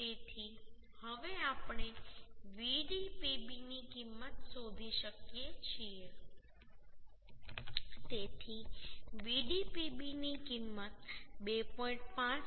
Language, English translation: Gujarati, 57 So now we can find out the value of Vdpb so the Vdpb value will become 2